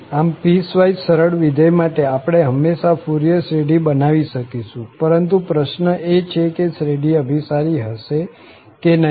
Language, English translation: Gujarati, So, for a given piecewise smooth function, we can always construct a Fourier series, but the question is whether that series will converge or not